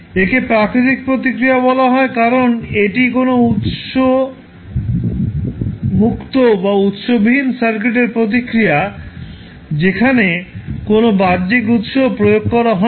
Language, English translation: Bengali, Why is it called as natural response; because it is a source free or source less response of the circuit where no any external source was applied